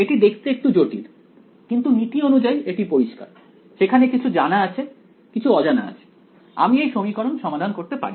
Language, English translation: Bengali, It looks a little complicated, but in principle its clear there are knowns and there are unknowns I can solve this equation over here ok